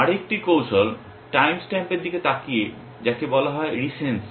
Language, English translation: Bengali, Another strategy is looking at the time stamp which is called recency